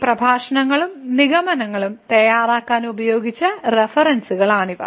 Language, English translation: Malayalam, So, these are the references which were used for preparing these lectures and the conclusion